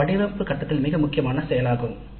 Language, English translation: Tamil, So that is an activity of the design phase